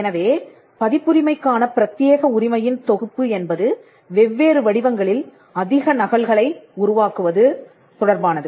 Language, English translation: Tamil, So, the set of exclusive right in copyright pertain to making more copies in different forms